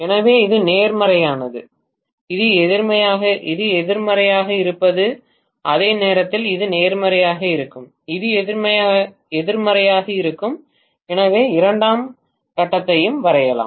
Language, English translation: Tamil, So, this is being positive and this is being negative at the same time this is going to be positive and this is going to be negative, so let me draw the second phase also